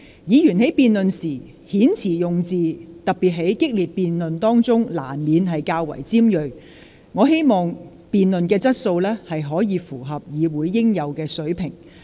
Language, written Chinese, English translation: Cantonese, 議員在辯論時，特別是在激烈的辯論當中，遣詞用字難免較為尖銳，但我希望議員辯論的質素可以符合議會應有的水平。, I know it is inevitable for Members to make pointed remarks in debates particularly in heated debates but you should debate in a way expected for Council Members